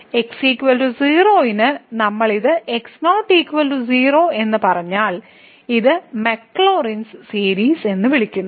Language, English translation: Malayalam, So, for is equal 0 if we said this is equal to 0, then this is called the maclaurins series